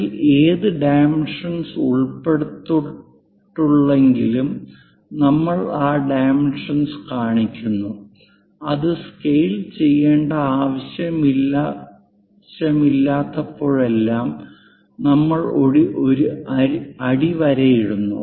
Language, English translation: Malayalam, 75 whatever the dimension is involved in that, we show that that dimension and whenever not to scale we just leave a underlined